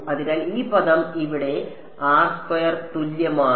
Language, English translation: Malayalam, So, this term is actually going to be